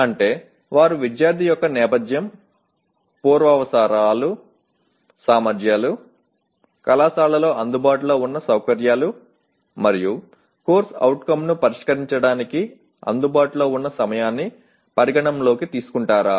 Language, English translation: Telugu, That means do they take into account the student’s background, prerequisite, competencies, the facilities available in the college and time available to address the CO